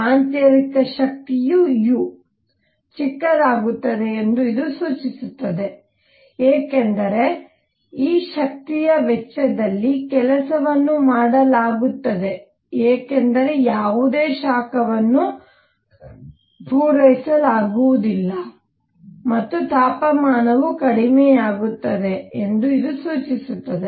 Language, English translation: Kannada, This implies internal energy u becomes a smaller because the work is done at the cost of this energy because there is no heat being supplied and this implies the temperature goes down volume is increasing, temperature is going down